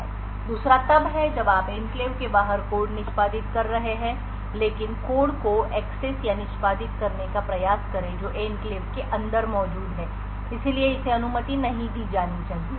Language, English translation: Hindi, The second is when you are executing code outside the enclave but try to access or execute code which is present inside the enclave so this should not be permitted